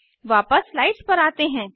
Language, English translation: Hindi, Lets switch back to slides